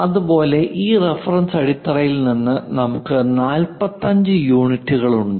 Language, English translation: Malayalam, Similarly, from this reference base we have it 45 units